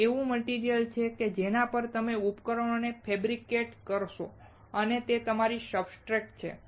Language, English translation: Gujarati, It is a material on which you fabricate devices and that is your substrate